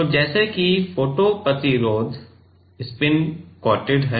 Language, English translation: Hindi, So, let us say now, photo resist is spin coated